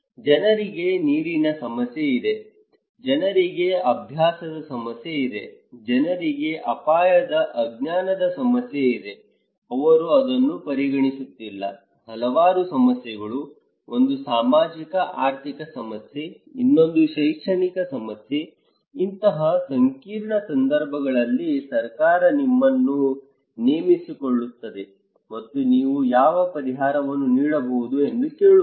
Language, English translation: Kannada, People have water problem, people have habit problem, people have problem of risk ignorance so, they are not considering so, many problems, one is socio economic problem, another one is the educational problem so, during such a complex situations, the government is hiring you and asking you that what solution you can give